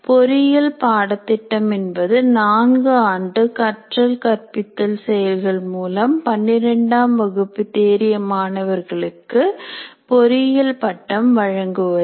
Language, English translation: Tamil, Engineering program is a four year teaching and learning activity that can qualify 12th standard graduates to the award of engineering degrees